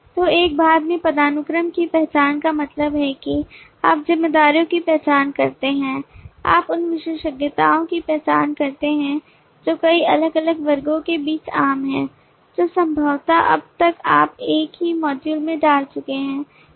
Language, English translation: Hindi, so in one part the identification of hierarchy means that you identify responsibilities, you identify attributes which are common between multiple different classes which possibly by now you have put in the same module